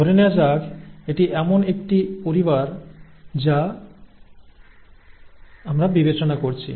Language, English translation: Bengali, Let us say that this is a family that we are considering